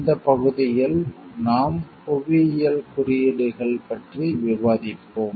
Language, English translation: Tamil, In this section we will discuss about geographical indications